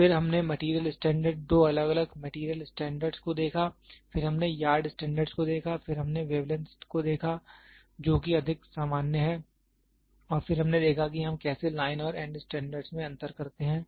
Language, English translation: Hindi, Then we saw material standard two different material standards, then we saw yard standards, then we saw wavelength which is more common and then we saw how do we do differentiate line and end standards